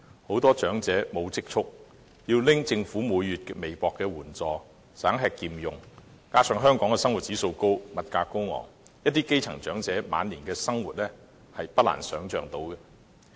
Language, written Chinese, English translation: Cantonese, 很多長者沒有積蓄，即使每月領取政府微薄的援助，仍要省吃儉用，加上香港生活指數高，物價高昂，一些基層長者晚年生活的困難，是不難想象的。, Many elderly persons do not have any savings so even though they receive meagre sums of assistance from the Government every month they must still live very frugally . Also since the living standard and cost of living in Hong Kong are very high in Hong Kong we can easily imagine the hardship facing some grass - root elderly persons